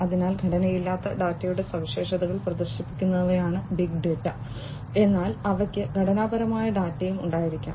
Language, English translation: Malayalam, So, big data are typically the ones which exhibit the properties of non structured data, but they could also have structure data